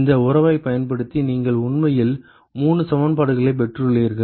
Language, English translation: Tamil, You actually got 3 equivalences using this relationship